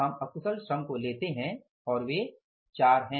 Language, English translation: Hindi, We go for the unskilled labour and they are 4